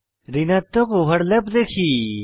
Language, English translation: Bengali, Observe negative overlap